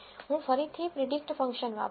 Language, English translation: Gujarati, I am again going to use the predict function